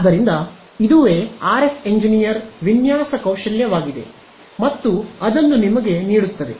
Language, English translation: Kannada, So, this is what the RF engineer design skill and gives it to you